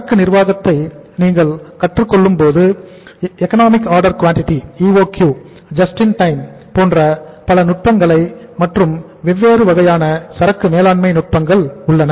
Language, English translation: Tamil, When you simply learn the inventory management we have different techniques like economic order quantity EOQ and then JIT and different techniques of inventory management